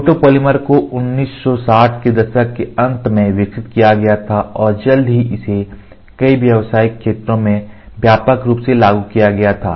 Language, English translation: Hindi, Photopolymers were developed in the late 1960s and soon became widely applied in several commercial areas most notably the coatings and printing industry